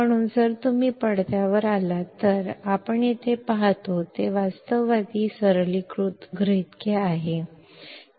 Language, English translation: Marathi, So, if you come to the screen; what we see here is realistic simplifying assumptions